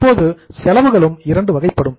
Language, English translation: Tamil, Now expenses are also of two type